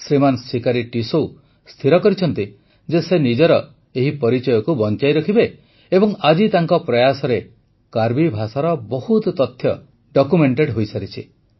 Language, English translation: Odia, Shriman Sikari Tissau decided that he would protect identity of theirs… and today his efforts have resulted in documentation of much information about the Karbi language